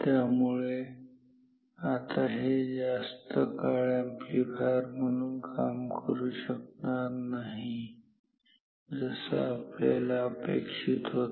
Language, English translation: Marathi, So, this will no longer act as an amplifier like the way we are expecting